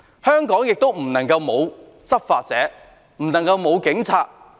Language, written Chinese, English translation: Cantonese, 香港不能沒有執法者，不能沒有警察。, Hong Kong cannot go without law enforcement officers . It cannot go without the Police